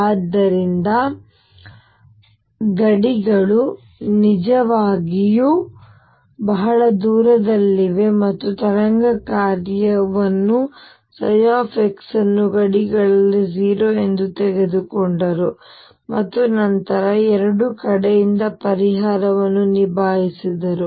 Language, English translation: Kannada, So, the boundaries were really far off and taken the wave function psi x to be 0 at the boundaries, and then dealt up the solution from both sides